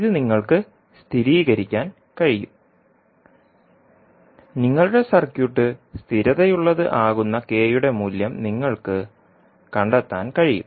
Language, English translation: Malayalam, So this you can verify, you can find out the value of k for which your circuit will be stable